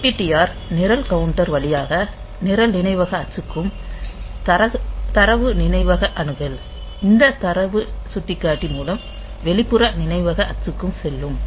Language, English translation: Tamil, So, DPTR so for program memory axis, it will go via this program counter and for data memory access it will go by this data pointer for a for the external memory axis